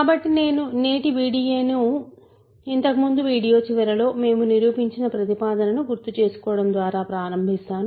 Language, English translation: Telugu, So, let me start today’s video by recalling the proposition, we proved at the end of the last video